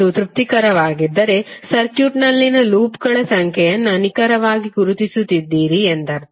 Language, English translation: Kannada, If it is satisfying it means that you have precisely identified the number of loops in the circuit